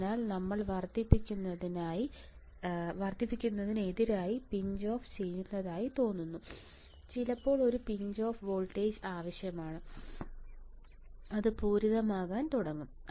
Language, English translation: Malayalam, So, this looks like we have pinched off towards increasing, sometimes a pinch off voltage is required and it starts saturating